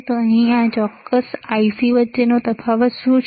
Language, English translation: Gujarati, So, what is the difference between this and this particular IC here